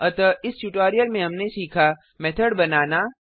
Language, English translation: Hindi, In this tutorial we will learn To create a method